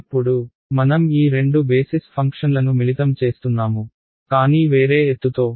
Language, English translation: Telugu, Now, I am combining these two basis functions, but with a different height